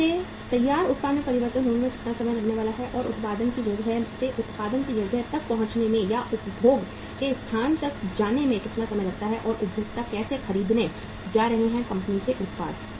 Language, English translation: Hindi, How much time it is going to take to get it converted to finished product and how much time it takes from the place of production to reach or to move from the place of production to the place of consumption and how the consumers are going to buy the products of the company